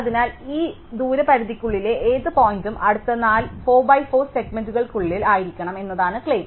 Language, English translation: Malayalam, So, the claim is that any point within this distance d must lie within the next 4 by 4 segments